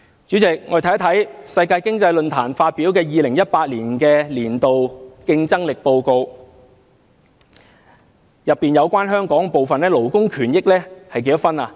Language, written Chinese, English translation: Cantonese, 主席，我們看看世界經濟論壇發表的2018年度全球競爭力報告，當中有關香港的部分，勞工權益有多少分呢？, Chairman let us look at the part concerning Hong Kong in The Global Competitiveness Report 2017 - 2018 published by the World Economic Forum . What is the score of Hong Kong in labour rights?